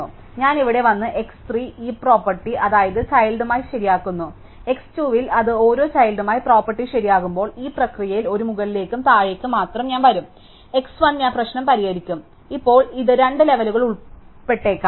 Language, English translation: Malayalam, So, I come here and x 3 I fix the heap property with respective it is children, then at x 2 at fix the property with respective each children, in the process something a up and down to only one level, then I will come to x 1 and I will fix it is problem, now this might involved 2 levels